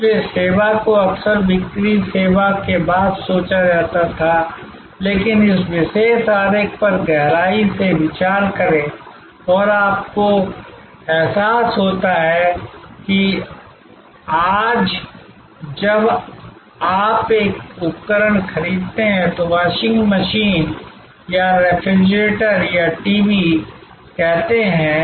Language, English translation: Hindi, So, service was often called after sales service, but think deeply over this particular diagram, and you realise that today, when you buy an appliance say washing machine or a refrigerator or a TV